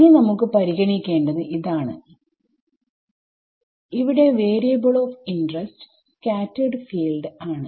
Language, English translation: Malayalam, Now, what is the I have chosen the variable of interest to be the scattered field right